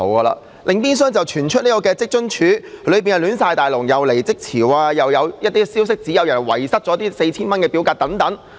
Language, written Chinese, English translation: Cantonese, 另一邊廂，又傳出職津處內部混亂，既有離職潮，又有消息指有人遺失了申請表格等。, Meanwhile there is hearsay about chaos within WFAO with a surge in resignations and such news as missing application forms